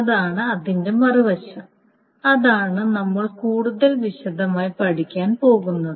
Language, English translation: Malayalam, And that is what is we are going to study in much more detail